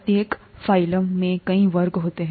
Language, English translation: Hindi, Each phylum has many classes